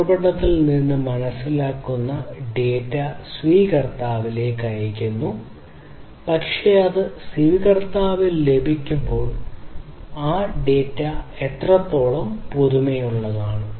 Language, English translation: Malayalam, So, from the source till the receiver the data that is sensed is sent at the receiver it is received, but then when it is received at the receiver how much fresh that data is